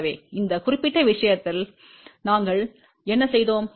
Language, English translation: Tamil, So, in this particular case what we did